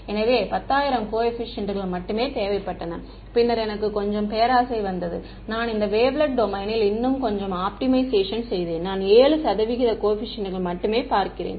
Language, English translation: Tamil, So, only 10000 coefficients were needed, then I got a little bit greedy I did a little bit more optimization within this wavelet domain and I look at only 7 percent coefficients